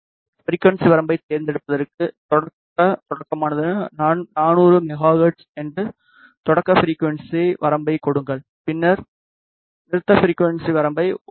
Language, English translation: Tamil, In order to select the frequency range select start give the start frequency range that is 400 megahertz then give stop frequency range is 1